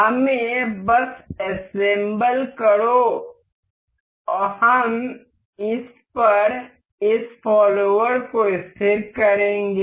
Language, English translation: Hindi, Let us just assemble we will fix this follower onto this um